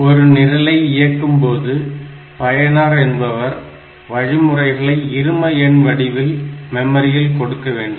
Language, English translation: Tamil, So, to execute a program, the user will enter instructions in binary format into the memory